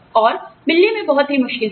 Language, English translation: Hindi, And, very difficult to get